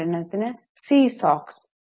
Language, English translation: Malayalam, For example, C Sox